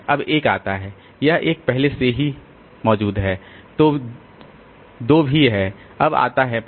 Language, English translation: Hindi, Now comes 1, this 1, 1 is already there, 2 is also there, now comes 5